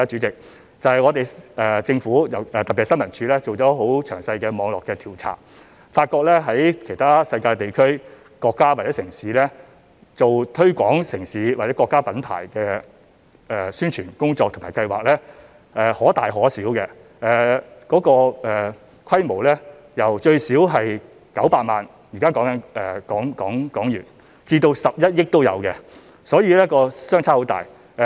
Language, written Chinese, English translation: Cantonese, 政府，特別是新聞處進行了很詳細的網絡調查，發覺在世界其他地區、國家或城市，進行推廣城市或國家品牌的宣傳工作和計劃所需的費用可大可小，由最少900萬港元至11億港元不等，所以這方面的差異極大。, The Government ISD in particular had conducted detailed network investigation and found that the amounts of expenses for city or nation branding in other regions countries or cities varied a lot ranging from a minimum of HK9 million to HK1.1 billion . They varied significantly